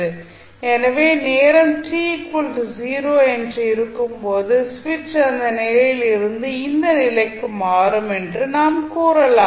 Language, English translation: Tamil, So, we can say that when time t is equal to 0 the switch is thrown from this position to this position